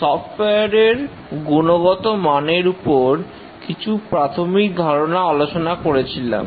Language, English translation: Bengali, We had discussed about some very basic concepts about software quality